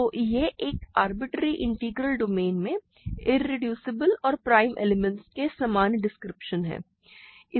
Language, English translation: Hindi, So, this is the general description of irreducible and prime elements in a arbitrary integral domain